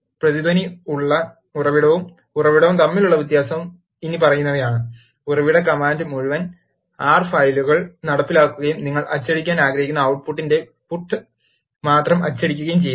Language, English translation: Malayalam, The difference between source and source with echo is the following: The Source command executes the whole R file and only prints the output, which you wanted to print